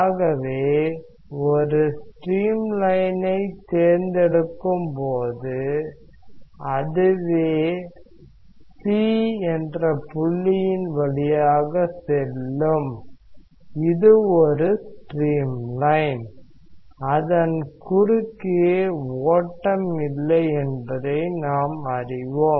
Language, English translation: Tamil, So, if you choose a stream line which is passing through the point C, this is a stream line; then we know that there is no flow across it